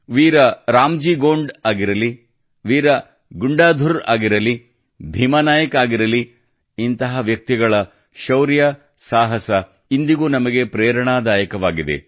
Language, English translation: Kannada, Be it Veer RamJi Gond, Veer Gundadhur, Bheema Nayak, their courage still inspires us